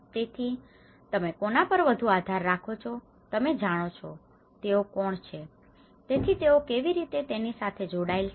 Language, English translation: Gujarati, So, whom are you more relied of it you know, who are these, so that is how, how they are connected with it